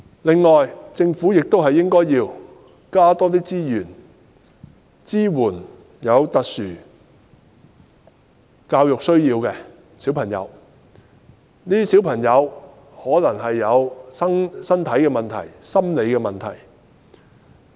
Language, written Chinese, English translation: Cantonese, 另外，政府亦應該增加資源，支援有特殊教育需要的小朋友，他們可能有身體問題或心理問題。, Furthermore the Government should also deploy additional resources to support children with special educational needs SEN who may have physical or psychological problems